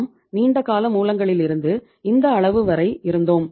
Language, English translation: Tamil, We were up to this level from the long term sources